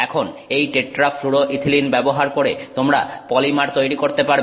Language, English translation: Bengali, Now, using this tetrafloythylene, you can make a polymer